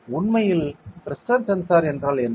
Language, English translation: Tamil, So, what is pressure